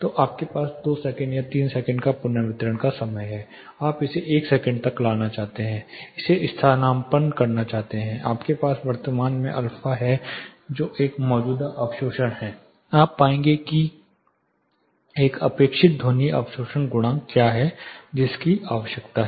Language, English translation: Hindi, So you have a reverberation time of 2 seconds or 3 seconds you would like to bring it to 1 second, substitute it you have current alpha that is a existing absorption you will able to find what is a expected sound absorption coefficient which is required